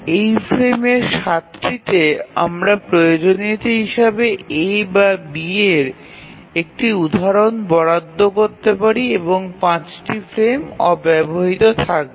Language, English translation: Bengali, So 12 frames to 7 of those frames we can assign an instance of A or B as required and 5 frames will remain unutilized